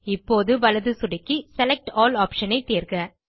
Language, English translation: Tamil, Now right click and choose the SELECT ALL option